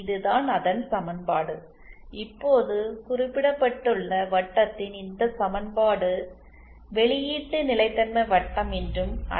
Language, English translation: Tamil, This the equation of this ,this equation of circle that is just mentioned is also known as the output stability circle